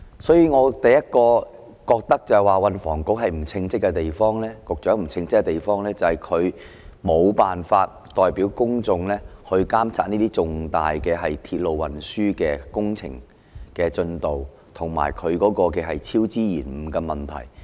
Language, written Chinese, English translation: Cantonese, 所以，我第一個感覺到運房局局長不稱職的地方，便是他沒辦法代表公眾監察這些重大鐵路運輸工程的進度，以及超支延誤的問題。, So the first thing that has given me a sense of STHs incompetence is his failure to monitor the progress of such major rail works on behalf of the public as well as the problems of cost overruns and delays